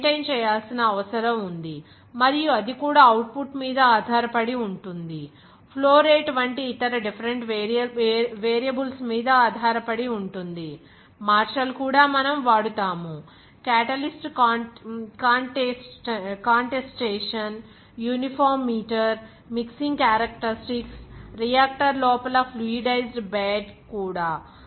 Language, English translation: Telugu, That you have to maintain and also that depends on that output, depends on other different variables like flow rate, even martial we shall be used, even catalyst contestation, even uniform meter, mixing characteristics, fluidized bed inside the reactor